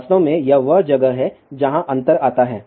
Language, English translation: Hindi, In fact, this is where the difference comes